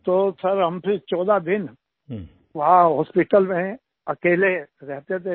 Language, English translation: Hindi, And then Sir, we stayed at the Hospital alone for 14 days